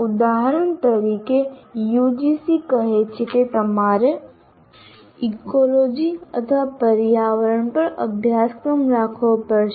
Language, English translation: Gujarati, For example, UGC says you have to have a course on ecology or environment, whatever name that you want